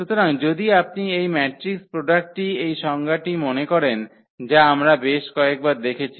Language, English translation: Bengali, So, if you remember from this definition of this matrix product which we have seen several times